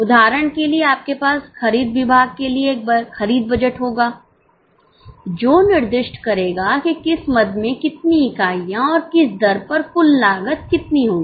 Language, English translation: Hindi, For example, you will have a purchase budget for purchase department that will specify how many units of which item and at what rate, what will be the total cost